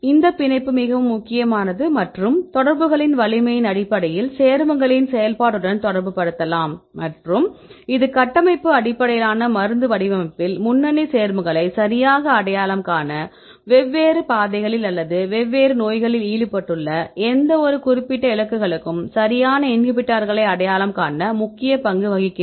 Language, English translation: Tamil, So, these binding is very important and based on the strength of these interactions, you can relate with the activity of the compounds and this plays an important role in the structure based drug design; to identify a lead compounds right, to identify the inhibitors right for any specific targets right which are a involved in this different pathways or in different diseases fine